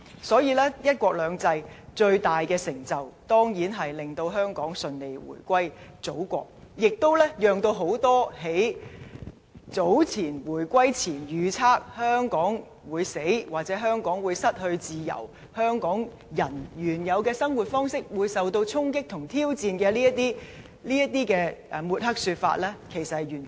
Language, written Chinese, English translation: Cantonese, 所以，"一國兩制"最大成就，當然是令香港順利回歸祖國。這亦完全否定了很多在回歸前預測"香港會死"、"香港會失去自由"、"香港人原有的生活方式會受到衝擊和挑戰"的抹黑說法。, Hence the biggest achievement of one country two systems was of course a smooth reunification of Hong Kong with China totally negating the many negative predictions before the reunification such as Hong Kong will die Hong Kong will lose its freedom and Hong Kong peoples original way of life will be under threat and subject to various challenges